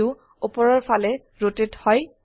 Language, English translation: Assamese, The view rotates upwards